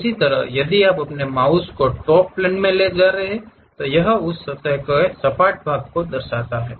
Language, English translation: Hindi, Similarly, if you are moving your mouse on to Top Plane, it shows flat section of that surface